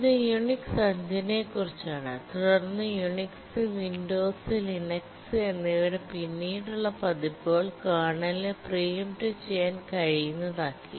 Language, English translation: Malayalam, Of course, we are talking of Unix 5 and then the latter versions of Unix and the Windows and the Linux, they did make the kernel preemptible